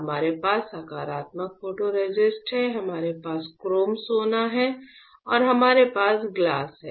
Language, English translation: Hindi, We have positive photoresist, we have chrome gold and we have glass correct